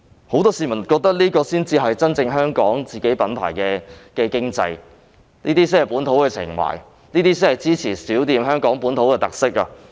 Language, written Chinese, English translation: Cantonese, 很多市民覺得這才是香港品牌的經濟，是本土情懷，是支持香港本土小店的特色。, Many people considered that only such an economy can promote Hong Kong brands manifest local sentiment and support local small shops with characteristics